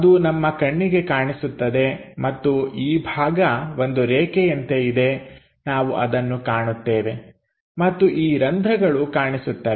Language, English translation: Kannada, So, that will be visible and this portion as a line this portion as a line we will see that and this holes clearly visible